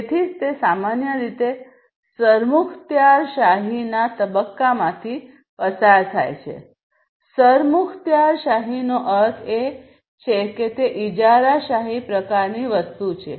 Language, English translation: Gujarati, So, it goes through typically a phase of dictatorship; dictatorship means like it is a monopoly kind of thing